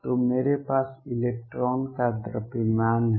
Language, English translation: Hindi, So, I have the mass of electron